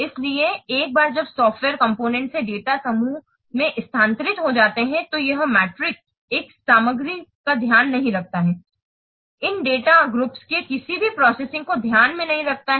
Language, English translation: Hindi, So once they what data groups they have been moved into the software component, this metric does not take care of this, this metric does not take into account any processing of these data groups